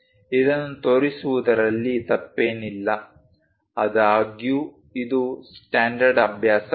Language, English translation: Kannada, There is nothing wrong in showing this; however, this is not a standard practice